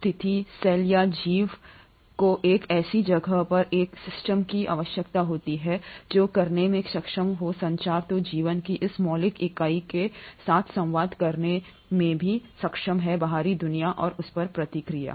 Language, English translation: Hindi, In such a situation a cell or an organism needs to have a system in a place which is capable of doing communication so this fundamental unit of life is also capable of communicating with the outside world and responding to it